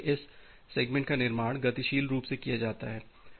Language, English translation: Hindi, First of all this segments are constructed dynamically